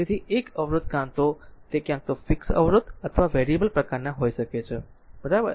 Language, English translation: Gujarati, So, a resistor is either a it may be either a fixed resistor or a variable type, right